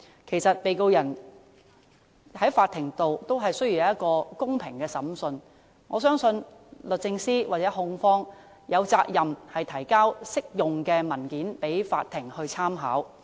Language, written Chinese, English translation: Cantonese, 其實，被告人在法庭也需要一個公平審訊，我相信律政司或控方有責任提交適用的文件供法庭參考。, In fact the Defendant also needs a fair trial in the Court . I believe DoJ or the prosecution has the duty to provide appropriate documents for the Courts reference